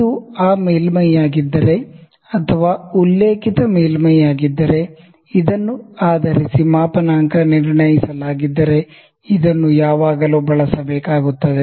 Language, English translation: Kannada, And if it is this surface, or which is the reference surface based on which it is it is calibrated, it has to be always used based on the surface and often